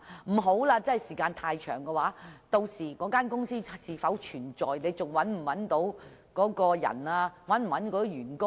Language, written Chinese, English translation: Cantonese, 如果時間太長，涉事公司屆時是否仍存在、是否能找到當事人或涉事員工？, If too much time has passed will the company concerned still exist by then? . Can the relevant party or official still be found?